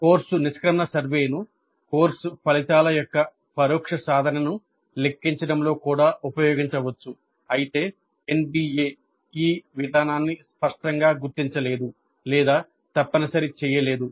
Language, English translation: Telugu, And the course exit survey may also be used in computing indirect attainment of course outcomes though NB itself does not explicitly recognize or mandate this approach